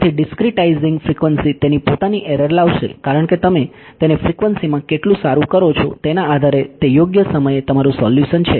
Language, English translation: Gujarati, So, discretizing frequency will bring its own errors because depending on how fine you do it in frequency that accurate is your solution in time right